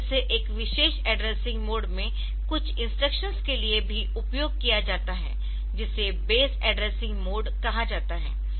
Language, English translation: Hindi, So, this is also used for some cases some instructions in the in a particular address mode which is called base addressing mode